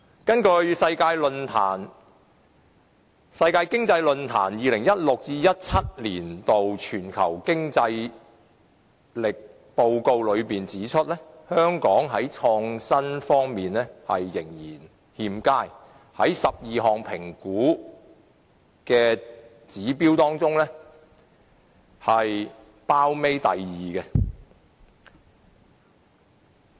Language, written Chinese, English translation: Cantonese, 根據世界經濟論壇的《2016-2017 年全球競爭力報告》，香港在創新方面的表現仍然欠佳，在12項評估指標當中位列榜尾第二。, According to the Global Competitiveness Report 2016 - 2017 published by the World Economic Forum Hong Kongs performance in innovation is still unsatisfactory ranking the second last among the 12 indicative pillars